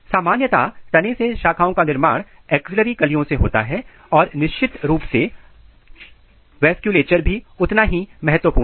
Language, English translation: Hindi, Shoot branching normally occurs through the axillary buds and of course, vasculature is equally important